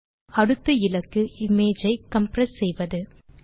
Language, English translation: Tamil, Our next goal is to compress the image, using a very simple technique